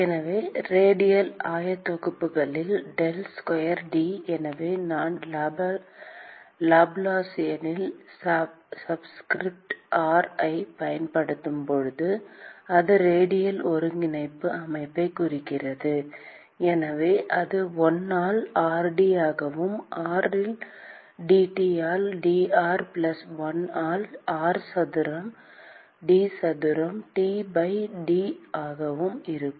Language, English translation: Tamil, So, del square T in radial coordinates so, when I use subscript r in Laplacian it means radial coordinate system so, that will be 1 by r d by dr, r into dT by dr plus 1 by r square d square T by d phi square plus d square T by d z square